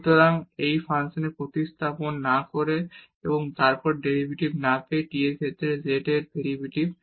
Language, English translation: Bengali, So, this is the derivative of z with respect to t without substituting into this function and then getting the derivative